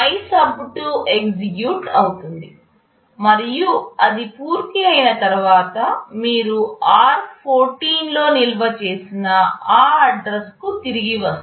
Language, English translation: Telugu, MYSUB2 gets executed and once it is done, you return back to the address stored in r14